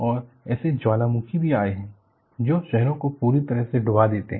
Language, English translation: Hindi, And, there have also been volcanoes, which totally submerge the cities